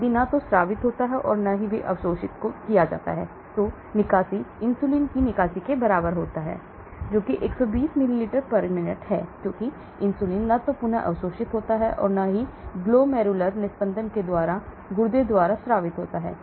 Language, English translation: Hindi, If neither secreted nor re absorbed then clearance is equal to clearance of inulin, that which is 120 ml/minute because inulin is neither re absorbed nor secreted by the kidney after glomerular filtration